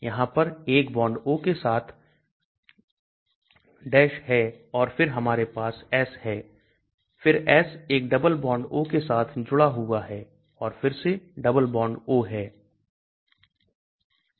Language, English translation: Hindi, There is 1 bond O with the and then we have S then S is connected with a double bond O and again double bond O